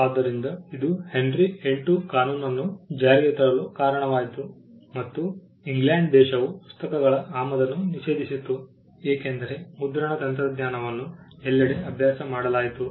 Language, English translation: Kannada, So, that led to Henry the VIII leading passing a law, banning the imports of books into England because printing technology was practiced everywhere